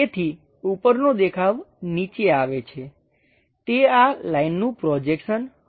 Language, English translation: Gujarati, So, top view comes at bottom level that will be projection of these lines